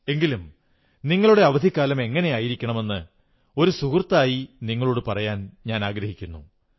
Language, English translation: Malayalam, But as a friend, I want to suggest you certain tips about of how to utilize your vacation